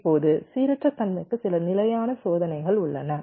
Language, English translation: Tamil, now there are some standard test for randomness